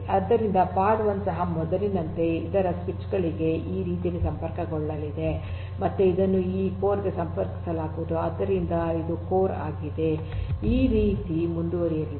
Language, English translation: Kannada, So, pod 1 also like before is going to be connected to other switches in this manner right and again it also will be connected to these core so, this is your core so, like this is going to continue